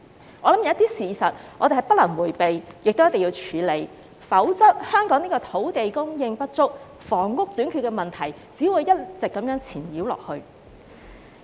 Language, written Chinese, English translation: Cantonese, 我相信有些事實是不能迴避的，亦一定要處理，否則，香港土地供應不足、房屋短缺的問題只會一直纏繞下去。, I believe some facts cannot be averted and must be dealt with . Otherwise the problems of insufficient land supply and housing shortage will persist in Hong Kong